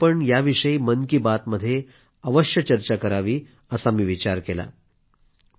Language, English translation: Marathi, So I thought, I should definitely discuss this in Mann ki Baat